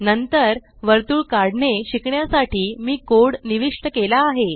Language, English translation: Marathi, Next I have entered the code to learn to draw a circle